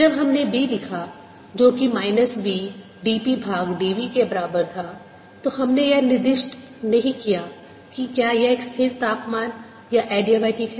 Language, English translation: Hindi, when we wrought d, which is equal to minus v, d p by d v, we did not specify whether there, at constant temperature or adiabatic